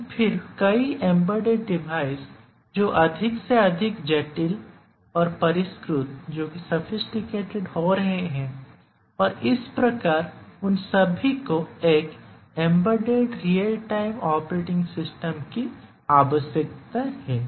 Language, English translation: Hindi, But then many of the embedded devices are getting more and more complex and sophisticated and all of them they need a embedded real time operating system